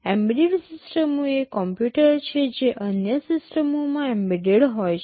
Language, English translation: Gujarati, Embedded systems are computers they are embedded within other systems